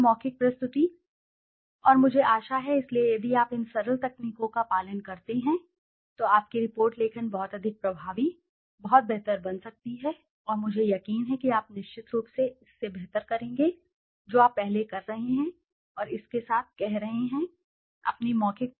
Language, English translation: Hindi, And the oral presentation and I hope, so if you follow these simple techniques your report writing can become much, much effective, much better and I am sure you would surely do better than what you have been doing earlier and saying with this, with your report writing your oral presentation should also improve and to keep those simple things in mind and I am sure you will do it better, thank you very much